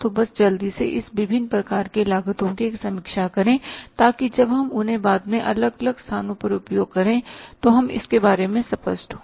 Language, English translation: Hindi, So, just quickly have a, say, review of this different types of the cost so that when we use them at the different places later on we are clear about it